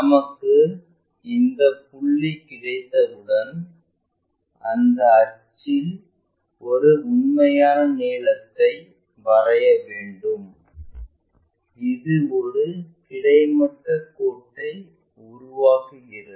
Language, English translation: Tamil, Once, we have that point, we have that curve again we locate a true length on that axis, which makes a horizontal line